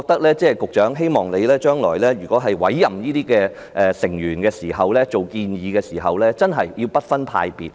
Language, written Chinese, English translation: Cantonese, 所以，我希望局長將來委任或建議醫管局大會成員時要不分派別。, So I hope that the Secretary will disregard political affiliation when making appointment or recommendation of HA Board members in the future